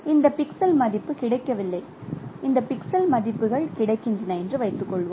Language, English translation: Tamil, So now if you are interpreting suppose these pixels are this pixel value is not available and this pixel values are available